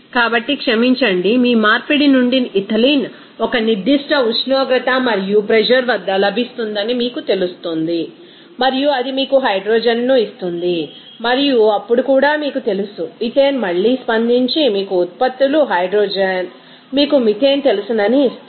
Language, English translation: Telugu, So, it is sorry ethylene is obtained from the conversion of you know that ethane at a certain temperature and pressure and also it will give you the hydrogen and then also you can see that this you know that ethane again reacting with that you know products hydrogen will give you that you know a methane